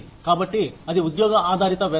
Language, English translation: Telugu, So, that is the job based pay